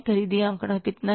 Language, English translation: Hindi, Purchase the figure is how much